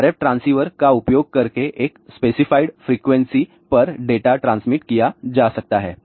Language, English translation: Hindi, So, by using RF transceiver one can transmit the data at a specified frequency